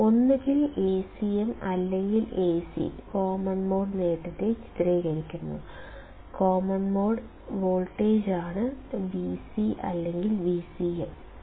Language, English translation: Malayalam, Either A cm or Ac depicts common mode gain; this is common mode voltage; Vc or Vcm